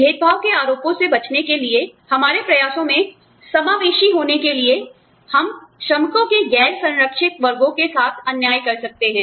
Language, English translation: Hindi, In our attempts, to avoid discrimination charges, in our attempts, to be inclusive, we may end up being unfair, to the non protected classes of workers